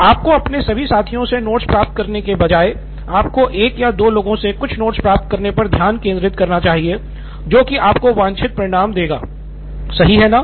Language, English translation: Hindi, Instead of you getting notes from all of your peers, you should rather focus on getting a note from one or a couple of people which would give you desired result, right